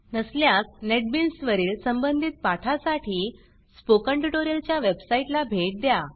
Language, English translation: Marathi, If not, then please visit the Spoken Tutorial website for relevant tutorials on Netbeans